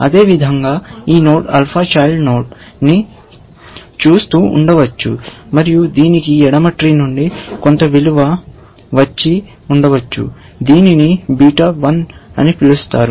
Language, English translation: Telugu, Likewise, this node may be looking at a alpha child, and it may have got some value, which we will call beta 1, from the left tree, that it has explored on the left side, essentially